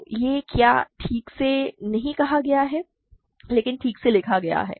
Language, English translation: Hindi, So, what this is not properly stated, but properly written